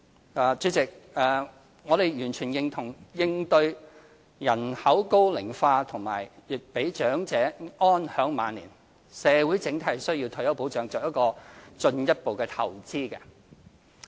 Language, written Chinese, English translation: Cantonese, 總結主席，我們完全認同為應對人口高齡化和讓長者安享晚年，社會整體須為退休保障作進一步投資。, Conclusion President we totally agree that society as a whole should provide more input into retirement protection to address population ageing and enable the elderly people a good retirement life